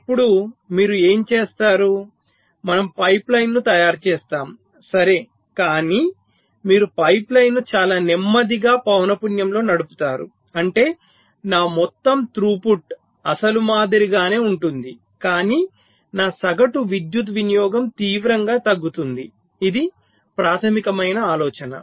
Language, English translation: Telugu, we make a pipe line, all right, but you run the pipe line at a much slower frequency, such that my over all throughput remains the same as the original, but my average power consumption drastically reduces